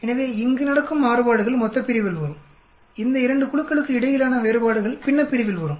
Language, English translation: Tamil, So the variations happening here that will come in the denominator, the variations between these 2 groups will come in the numerator